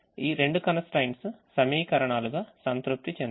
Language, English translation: Telugu, the constraints are satisfied as equations